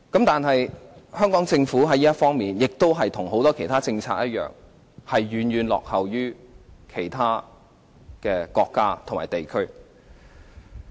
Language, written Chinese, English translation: Cantonese, 但是，香港政府在這方面的政策與很多其他政策一樣，遠遠落後於其他國家和地區。, But the policies of the Hong Kong Government like its many other policies have lagged far behind those of other countries and places